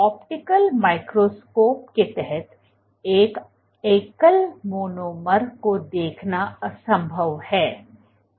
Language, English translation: Hindi, So, it is impossible to see a single monomer under an optical microscope